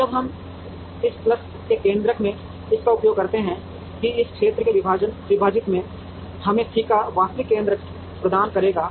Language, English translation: Hindi, Now, when we use that this into centroid of this plus this into centroid of this divided by the area, will give us the actual centroid of C